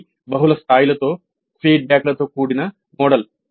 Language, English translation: Telugu, It is a model with feedbacks at multiple levels